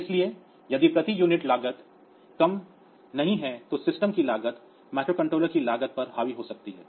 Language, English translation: Hindi, So, if the cost per unit is not low then the cost of the system who may get dominated by the cost of the microcontroller